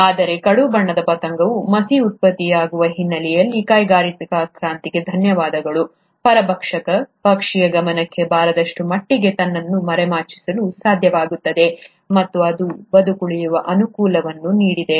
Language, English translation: Kannada, But a dark coloured moth will, being able to in the background of the soot being generated, thanks to the industrial revolution, would be able to camouflage itself to such an extent, that it will not be noticed by the predatory bird, and it would have given it a survival advantage